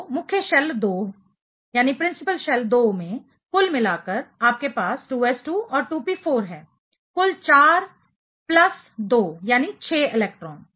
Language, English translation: Hindi, So, overall in the principal shell 2, you have 2s2 and 2p4; total 4 plus 2, 6 electron